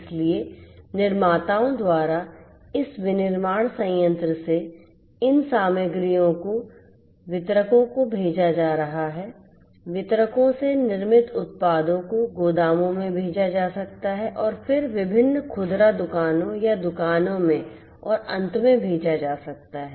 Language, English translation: Hindi, So, from this manufacturing plant by the manufacturers these materials are going to be sent to the distributors, from the distributors the manufactured products from the distributors are going to be may be sent to the warehouses and then to the different you know retail outlets or shops and finally to the end customers